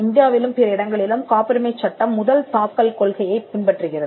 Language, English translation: Tamil, The patent law in India and in other places follows the first file, it does not follow the first to invent principles